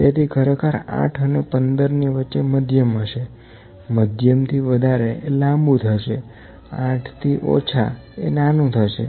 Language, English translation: Gujarati, So, actually medium is between 15 and 8, more than medium is long, less than 8 is small